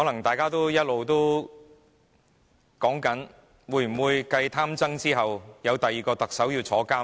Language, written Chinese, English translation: Cantonese, 大家一直在談論，會否繼"貪曾"後，有第二名特首要入獄呢？, People have been discussing whether a second Chief Executive will be imprisoned after Greedy TSANG